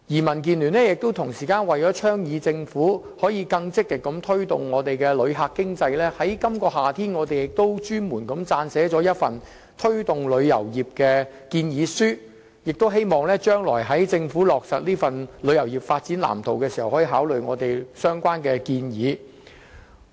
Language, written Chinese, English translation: Cantonese, 民建聯為了促進政府更積極推動香港的旅遊業發展，在今年夏天，亦撰寫了一份推動旅遊業建議書，希望政府將來落實旅遊業發展藍圖時，可以考慮有關建議。, In order to urge the Government to more actively promote the development of Hong Kongs tourism industry the Democratic Alliance for the Betterment and Progress of Hong Kong DAB also submitted a proposal this summer in the hope that the Government will consider its recommendations when implementing the blueprint for the tourism industry